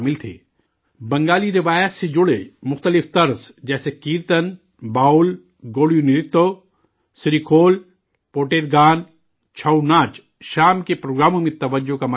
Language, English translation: Urdu, Various genres related to Bengali traditions such as Kirtan, Baul, Godiyo Nritto, SreeKhol, Poter Gaan, ChouNach, became the center of attraction in the evening programmes